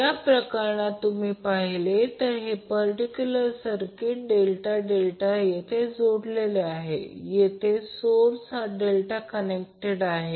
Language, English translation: Marathi, So in this case if you see this particular circuit, the circuit is delta delta connected here the source is delta connected as well as the load is delta connected